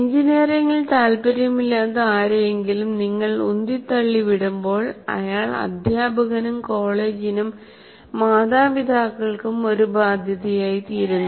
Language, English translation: Malayalam, So when somebody is not interested in engineering and you push through him, he becomes a liability, both to the teacher and the college and to the parents